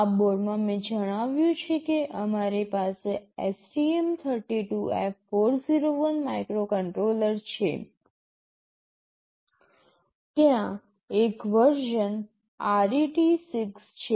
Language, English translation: Gujarati, In this board as I mentioned we have STM32F401 microcontroller, there is a version RET6